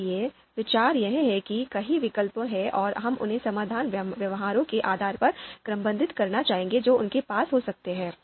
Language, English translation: Hindi, So the idea is there are number of alternatives, we would like to you know sort them and these alternatives regroup them based on the similar behaviors that they might have